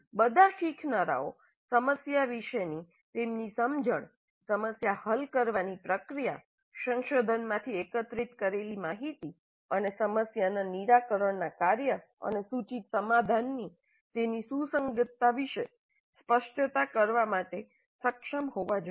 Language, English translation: Gujarati, All learners must be able to articulate their understanding of the problem, the problem solving process, the information gathered from research and its relevance to the task of problem solving and the proposed solution